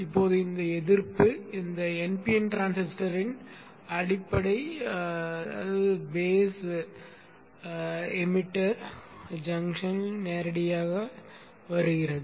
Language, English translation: Tamil, Now this resistance coming directly across the base emitter junction of this NPN transistor